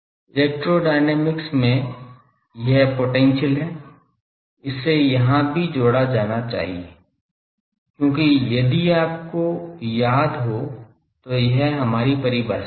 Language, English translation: Hindi, In electrodynamics it is this better potential also should be added here, because that was our definition if you remember